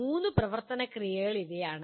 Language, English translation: Malayalam, These are the three action verbs